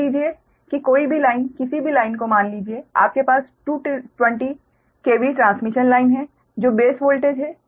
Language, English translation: Hindi, suppose you have a two, twenty k v transmission line, that is base voltage